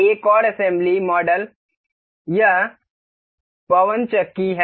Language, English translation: Hindi, Another assembled model is the this windmill